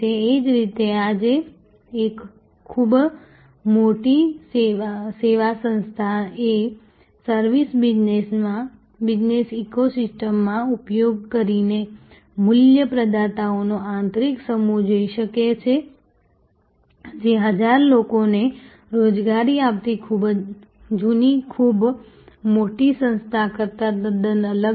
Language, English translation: Gujarati, Similarly, today a very large service organization can be internally a constellation of value providers using a service business eco system, which is quite different from the yesteryears very large organization employing 1000 of people